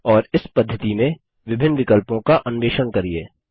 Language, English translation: Hindi, And explore the various options in this method